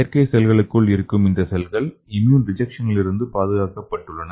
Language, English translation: Tamil, So here the cells inside the artificial cells protected from the immune rejection